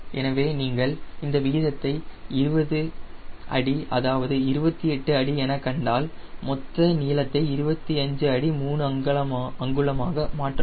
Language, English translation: Tamil, so if this is the ratio, twenty feet is twenty feet, twenty eight feet